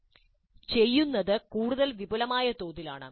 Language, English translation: Malayalam, The doing is on a much more extensive scale